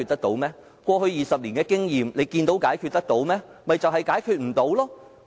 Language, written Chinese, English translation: Cantonese, 根據過去20年的經驗，我們看到這些問題可以解決嗎？, In accordance with our experience for the past 20 years could these problems be resolved?